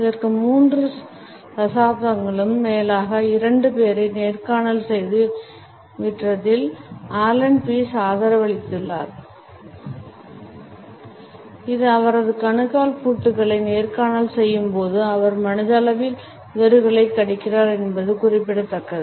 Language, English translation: Tamil, It has been supported by Allan Pease also who has commented that, in his more than three decades of interviewing and selling two people, it has been noted that when it interviewing locks his ankle he is mentally biting his lips